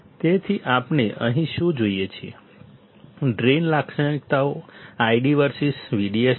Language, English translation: Gujarati, So, what we see here, the drain characteristics is I D versus V D S